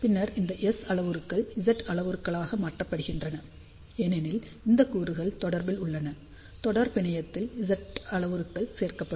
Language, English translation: Tamil, So, what has been done S parameters of this particular device are known then these S parameters are converted to Z parameters, since these elements are in series, in series Z parameters get added